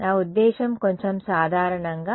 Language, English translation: Telugu, I mean a little bit more generally